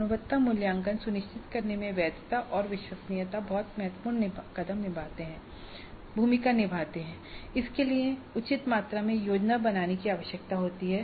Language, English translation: Hindi, So, this validity and reliability play a very important role in ensuring quality assessment and this requires fair amount of planning upfront